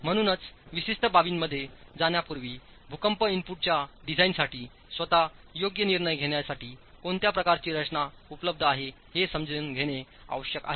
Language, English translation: Marathi, So, before we get into specific aspects, it's important to understand what sort of a framework is available to decide the earthquake input for your design itself